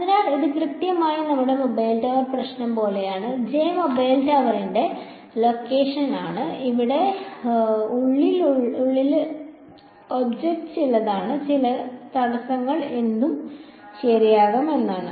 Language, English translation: Malayalam, So, this is exactly like our mobile tower problem J is the location of the mobile tower and this object over here inside is some I mean some obstacle could be anything ok